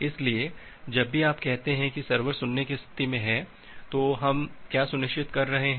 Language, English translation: Hindi, So, whenever you say that is the server is in the listen state, what we are ensuring